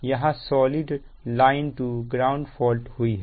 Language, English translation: Hindi, this is double line to ground fault